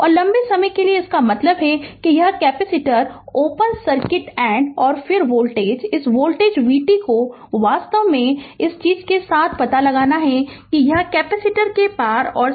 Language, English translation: Hindi, And for long time, that means this capacitor is open circuited, and then voltage your this voltage v t actually you have to find out across with your this thing this this is the voltage B across the capacitor